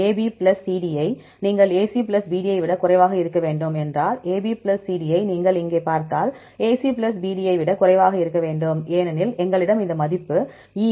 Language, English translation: Tamil, If you put AB plus CD that should be less than AC plus BD, because if you see here A B plus C D, there should be less than AC plus BD because we have this value E as well as A B plus C D